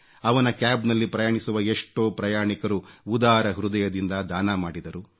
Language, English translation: Kannada, His cab passengers too contributed largeheartedly